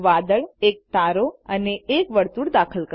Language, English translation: Gujarati, Insert a cloud, a star and a circle